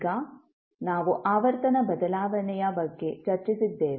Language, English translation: Kannada, Now, then, we discuss about frequency shift